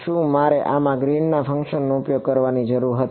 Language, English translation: Gujarati, Did I need to use the Green’s function in this